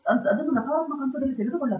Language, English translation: Kannada, That should not be taken in a negative stride